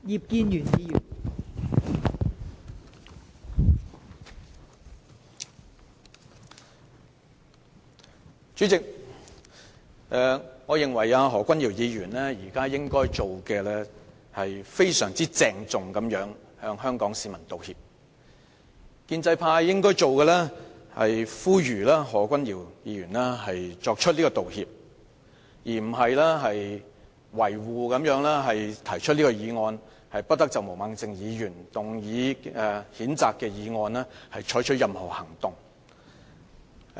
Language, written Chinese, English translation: Cantonese, 代理主席，我認為何君堯議員應該非常鄭重地向香港市民道歉，而建制派則應呼籲何君堯議員道歉，而並非維護他，提出"不得就毛孟靜議員動議的譴責議案再採取任何行動"的議案。, Deputy President I think Dr Junius HO should tender a solemn apology to Hong Kong people and the pro - establishment camp should urge Dr Junius HO to apologize rather than trying to defend him by moving the motion that no further action shall be taken on Ms Claudia MOs censure motion